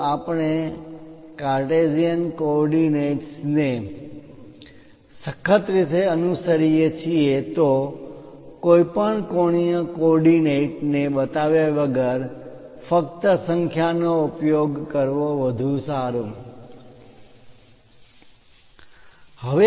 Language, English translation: Gujarati, If we are strictly following Cartesian coordinates, it's better to use just numbers without showing any angular coordinate